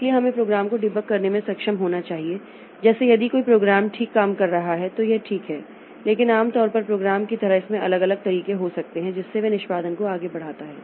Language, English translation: Hindi, So, we should be able to debug the program like if a program is working fine, then it is fine but normally like a program may have different ways in which it proceeds execution through it